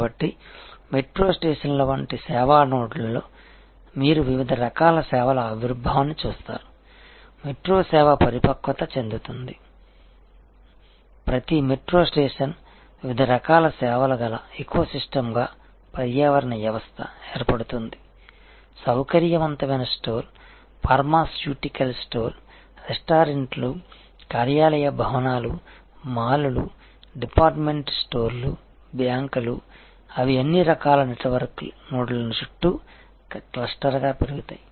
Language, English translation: Telugu, So, at the service nodes like a metro stations you see emergence of different types of services and as this the metro service matures you will see that each metro station will, then become an ecosystem of different types of services be it convenience store, pharmaceutical store, restaurants, office buildings, malls, department stores, banks, they will all kind of grow as cluster around this network nodes and this as happened in most other cities around in the world and will definitely see happening in our country as well